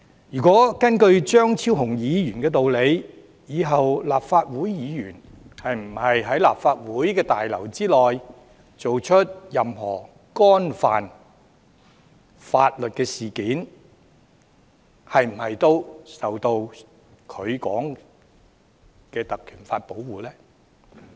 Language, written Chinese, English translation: Cantonese, 如果根據張超雄議員的道理，以後立法會議員在立法會大樓內作出任何犯法行為，是否也受到他說的《條例》所保護？, If the reasoning of Dr Fernando CHEUNG applies are any illegal acts committed by Legislative Council Members inside the Legislative Council Complex under the protection of PP Ordinance as he had described?